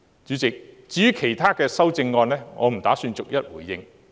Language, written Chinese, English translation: Cantonese, 主席，至於其他修正案，我不打算逐一回應。, Chairman I do not intend to respond to the other amendments one by one